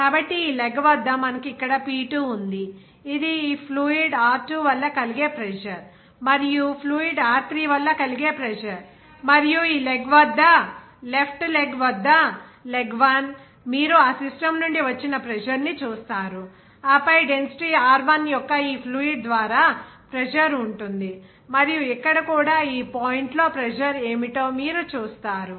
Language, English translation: Telugu, So, at this leg, we are having what is that some P2 here, pressure due to that this fluid of Rho2and the pressure due to this fluid Rho3, and at this leg, the left leg, leg 1, you will see that pressure will be exerted from that system and then pressure will be exerted by this fluid of density Rho1 and here also you will see that what would be the pressure at this point